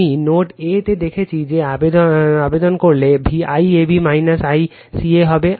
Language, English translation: Bengali, I showed you at node A if you apply I a will be I AB minus I CA